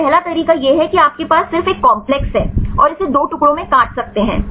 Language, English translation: Hindi, So, first way is you can just have the complex and cut it into 2 pieces